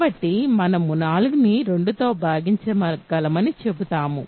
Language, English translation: Telugu, So, we say 5 is not divisible by 2